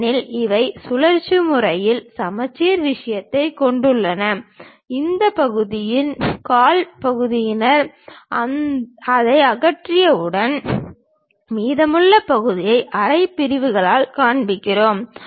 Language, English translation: Tamil, Because, they have rotationally symmetric thing, some one quarter of that portion we will remove it and show the remaining part by half sections